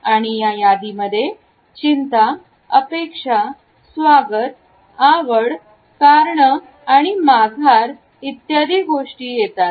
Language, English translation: Marathi, And the list includes anxiety, anticipation, welcome, exclusion, interest as well as retreat